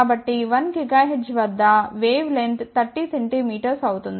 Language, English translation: Telugu, So, at a 1 gigahertz wavelength is 30 centimeter